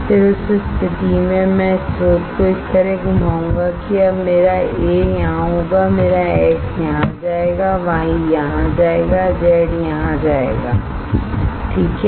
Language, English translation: Hindi, Then in that case I will rotate the source in such a way that now my A will be here, my X will go here,Y will go here Z will go here right